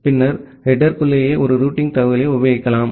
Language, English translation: Tamil, Then, you can have a routing information embedded inside the inside the header itself